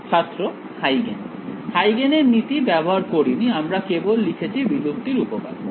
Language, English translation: Bengali, Huygens principle we have not used it, we have only wrote the extinction theorem